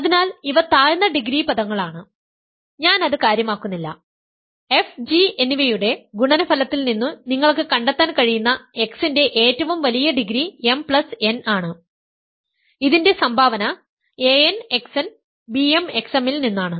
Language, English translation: Malayalam, So, these are lower degree terms, which I do not care about, right the largest power of x that you can find in the product of f and g is m plus n, the contribution coming from a n x n times b m x m